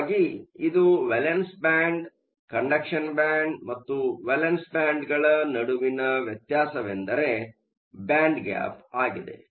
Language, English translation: Kannada, So, this is my conduction band that is my valence band, the difference between the conduction band and the valence band is your band gap